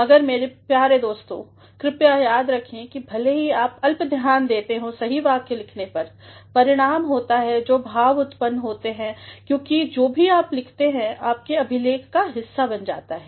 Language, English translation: Hindi, But, my dear friends, please do remember that while we pay scant attention to writing correct sentences, what results is the impression that goes out because whatever you have written that becomes a part of the record